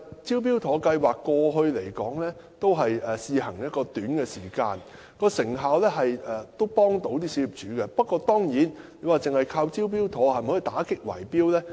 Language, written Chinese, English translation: Cantonese, "招標妥"計劃過去試行了一段短時間，對小業主有所幫助，但單靠此計劃是否可以打擊圍標呢？, The Smart Tender scheme was operated as a trial for a short period of time and proven helpful to owners . But does the scheme per se suffice to combat big - rigging?